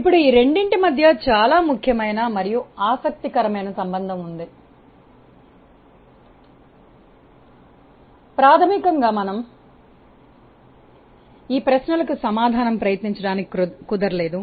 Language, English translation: Telugu, Now, there is very important and interesting relationship between these two, fundamentally we could try to answer these questions